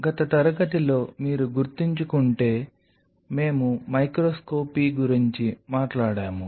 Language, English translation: Telugu, So, in the last class if you recollect we were talking about the microscopy